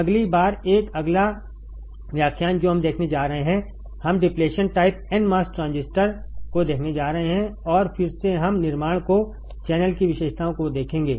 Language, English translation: Hindi, Next time a next lecture what we are going to see, we are going to see the depletion type n mos transistor and again we will see the construction to the drain characteristics